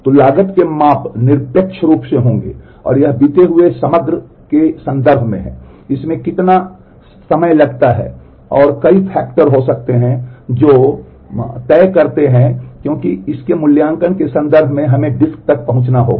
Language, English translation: Hindi, So, measures of cost will be in absolute terms it is in terms of the elapsed time how much time does it take and there could be many factors which ma dictate that because in terms of evaluating this we will have to access the disk